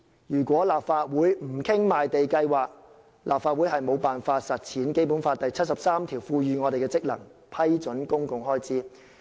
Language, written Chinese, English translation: Cantonese, 如果立法會不討論賣地計劃，便無法履行《基本法》第七十三條賦予我們的職能：批准公共開支。, If the Legislative Council does not discuss the Programme we will be unable to discharge our function under Article 73 of the Basic Law to approve public expenditure